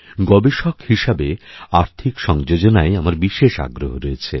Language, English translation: Bengali, As a researcher, I have been specially interested in Financial Inclusion